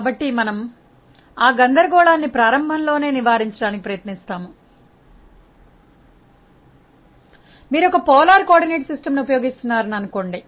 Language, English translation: Telugu, So, we will try to avoid that confusion from the very beginning; say if you are using a polar coordinate system